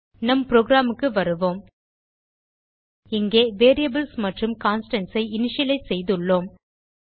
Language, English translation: Tamil, Now Come back to our program Here we have initialized the variables and constants